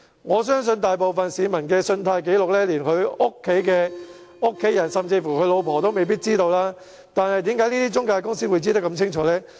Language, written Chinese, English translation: Cantonese, 我相信大部分市民的信貸紀錄，連家人甚至是妻子也未必知道，但為何中介公司會如此一清二楚？, I believe for most people even their families or wives may not know their credit record . So how did these intermediaries know so well?